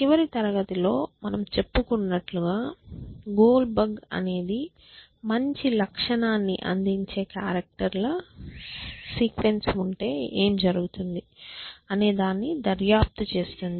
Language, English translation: Telugu, Though as I said in the last class goal bug has investigated as the, what if there is a sequences of characters which somehow provide a good feature